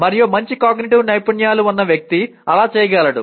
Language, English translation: Telugu, And a person with good metacognitive skills will be able to do that